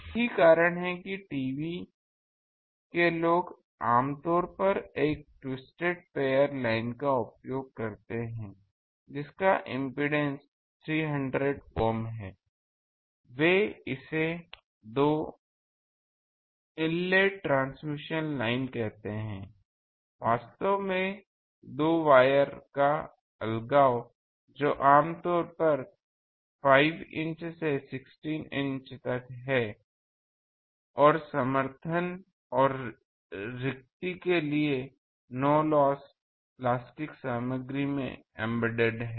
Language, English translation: Hindi, That is why TV people they generally use a twisted pair line which impedance is 300 Ohm which actually they you call it two inlet transmission line; actually the separation of the two wires that is typically 5 by 16 inch and embedded in a no loss plastic material for support and spacing